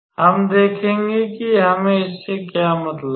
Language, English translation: Hindi, We will see that what do we mean by it